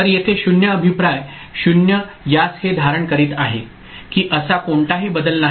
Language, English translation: Marathi, So, 0 feedback here this 0 is holding back it to 1 there is no such change